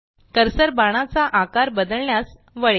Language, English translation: Marathi, The cursor turns into a re sizing arrow